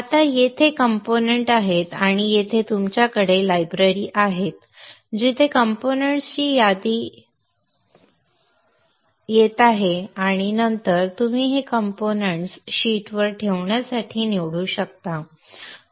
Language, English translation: Marathi, Now here is the components and this is where you have the libraries where a list of components coming here and then you can choose this components to place onto the sheet